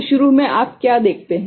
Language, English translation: Hindi, So, initially what you see